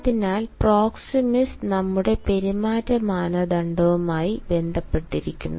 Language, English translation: Malayalam, so proxemics is related to our behavioral norm